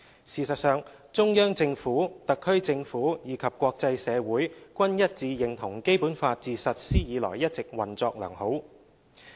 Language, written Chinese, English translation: Cantonese, 事實上，中央政府、特區政府，以及國際社會均一致認同《基本法》自實施以來一直運作良好。, In fact the Central Government the HKSAR Government and the international community all unanimously agreed that the Basic Law has been functioning well since it was implemented